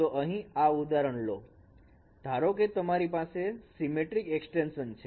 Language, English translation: Gujarati, Now you can see this is an example of a symmetric extension